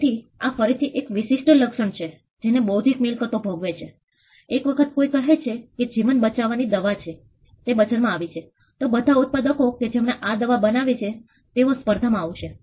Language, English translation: Gujarati, So, this is again a trait which intellectual property enjoys, once a medicine say it is a lifesaving medicine is out in the market it is possible for the competitors of the manufacturer who manufactured this medicine